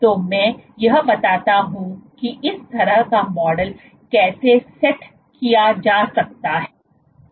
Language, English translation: Hindi, So, let me draw how such a model might be set up